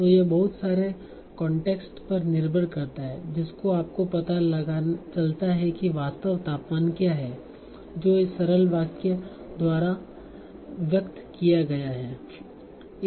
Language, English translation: Hindi, So this depends on a lot of context to find out what is the actual temperature that is being conveyed by this simple sentence